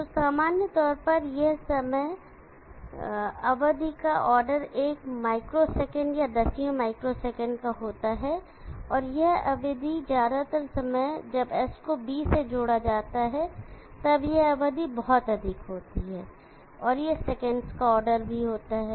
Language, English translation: Hindi, So normally, this is having the time duration of order one micro second or tens of micro second, and this duration majority of the duration, when S is connected to D, is very large it is also order of the seconds